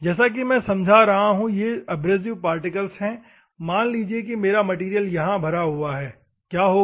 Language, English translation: Hindi, As I am explaining, these are the abrasive particles, assume that my material is loaded here this, what will happen